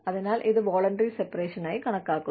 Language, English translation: Malayalam, So, that is, it counts as, voluntary separation